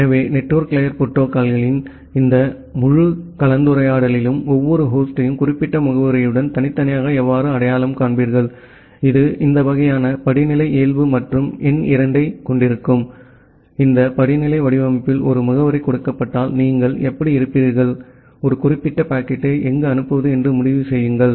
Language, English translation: Tamil, So, in this entire discussion of network layer protocols, we will look into that first of all how will you individually identify every host with certain address which has this kind of hierarchical nature and number two, given a address in this hierarchical format how will you decide where to forward a particular packet